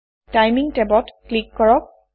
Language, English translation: Assamese, Click the Timing tab